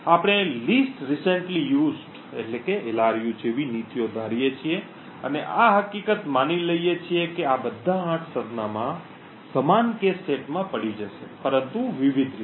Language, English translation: Gujarati, We assume policy such as the Least Recently Used to be implemented in the cache and assume the fact that all of these 8 addresses would fall in the same cache sets but in different ways of the cache